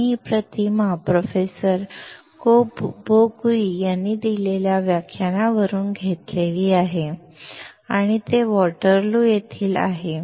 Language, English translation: Marathi, We have taken this image from the lecture given by Professor Bo Cui and he is from Waterloo